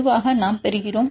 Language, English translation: Tamil, Usually we get